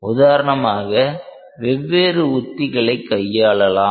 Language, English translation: Tamil, You can for example, employ various strategies